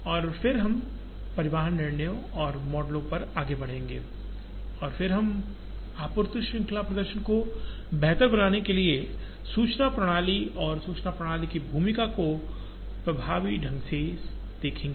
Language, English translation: Hindi, And then we will move on to transportation decisions and models for transportation and then we will look at information systems and the role of information system in effectively making the supply chain performance better